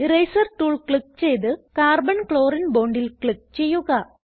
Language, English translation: Malayalam, Click on Eraser tool and click on Carbon chlorine bond